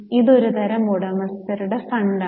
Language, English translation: Malayalam, This is a type of owner's fund